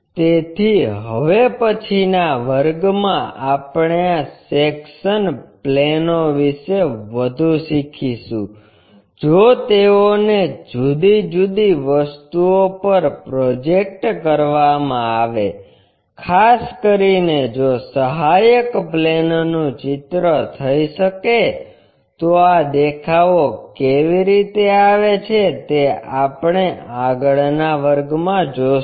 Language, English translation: Gujarati, So, in the next class we will learn more about these sectionsplanes if they are projected onto different things especially if auxiliary planes can be constructed how these views really comes in that is we will see in the next class